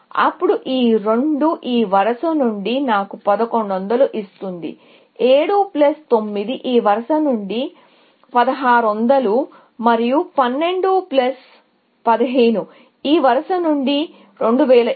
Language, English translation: Telugu, Then, these two, which will give me 1100 from this row; 7 plus 9 is 1600 from this row, and 12 plus 15, which is 2700 from this row